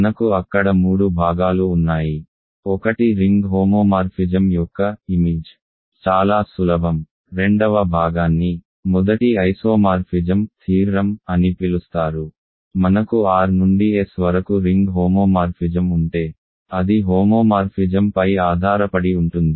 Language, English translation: Telugu, We have three parts there, one is that image of a ring homomorphism is a subring which was fairly easy, second part was called the first isomorphism theorem it says that if you have a ring homomorphism from R to S it is an onto homomorphism